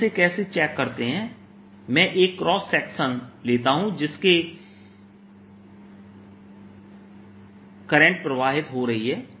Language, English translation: Hindi, let me take a cross section across which the current is flowing